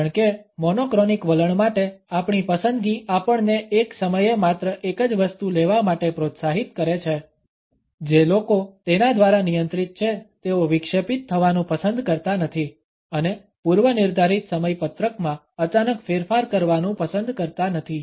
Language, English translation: Gujarati, Because our preference for the monochronic attitude encourages us to take up only one thing at a time, people who are governed by it do not like to be interrupted and also do not prefer to suddenly change the pre decided scheduling